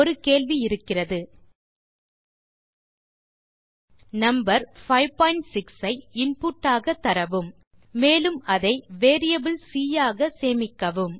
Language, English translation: Tamil, You have an question Enter the number 5.6 as input and store it in a variable called c